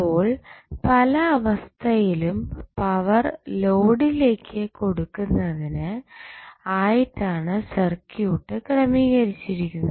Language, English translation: Malayalam, So, in many situation the circuit is designed to provide the power to the load